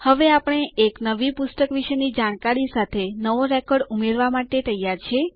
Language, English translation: Gujarati, Now we are ready to add a new record, with information about a new book